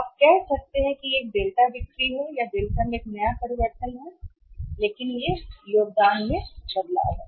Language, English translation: Hindi, You can say it is a delta since it is called as a delta new ah change in the delta but it is the change in the contribution